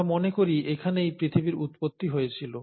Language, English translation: Bengali, So this is where we think the origin of earth happened